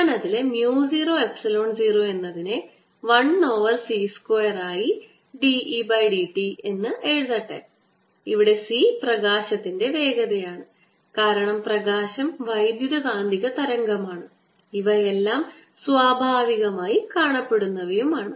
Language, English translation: Malayalam, and let me write mu zero times epsilon zero, as one over c square: d, e, d t, where c is the speed of light, because light is electromagnetic wave and seen naturally into all this